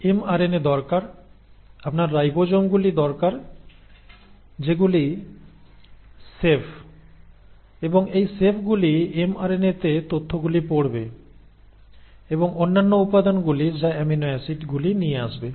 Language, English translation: Bengali, So you need mRNAs, you need ribosomes which are the chefs, and these chefs will read the information in the mRNA and bring in the other ingredients which are the amino acids